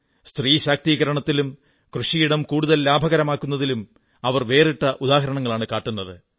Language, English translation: Malayalam, She has established a precedent in the direction of women empowerment and farming